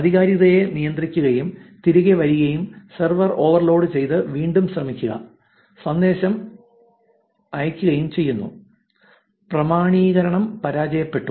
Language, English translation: Malayalam, Controls authenticator and comes back and server overloaded try again message is sent, authentication failed